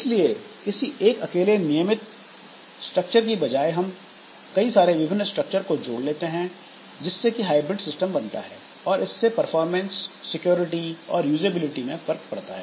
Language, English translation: Hindi, So, instead of going for a single strictly defined structure, we can combine different structures resulting in hybrid systems that will have effect on the performance, security and usability of the issues